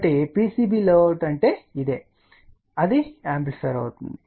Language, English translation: Telugu, So, this is what is the PCB layout that is an amplifier